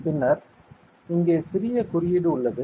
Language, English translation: Tamil, Then there is a bit of code over here